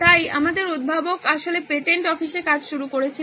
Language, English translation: Bengali, So our inventor actually started working in the patent office